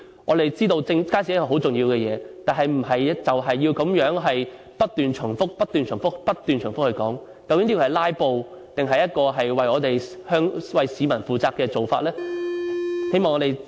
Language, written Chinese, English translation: Cantonese, 我們知道街市是很重要的設施，但並非要如此不斷重複地討論，究竟這是"拉布"，還是為香港市民負責的做法呢？, Even though we know that market is a very important facility it is unnecessary for us to discuss the related arguments repeatedly . Is this a filibuster or an approach accountable to the Hong Kong people?